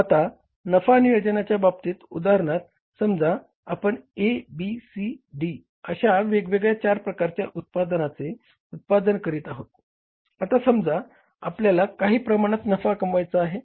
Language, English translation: Marathi, Now the profit planning, you see that you have different products you are manufacturing in any firm, A, B, C, D, four products, for example, we are manufacturing